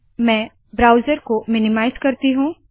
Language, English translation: Hindi, Minimize the browser